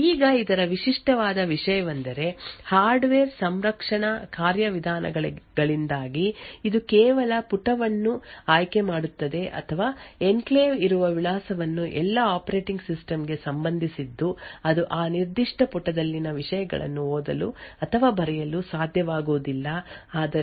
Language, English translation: Kannada, Now the unique thing about this is that due to the hardware protection mechanisms this is just choosing the page or the address where the enclave is present is about all the operating system can do it will not be able to read or write to the contents within that particular page but rather just manage that page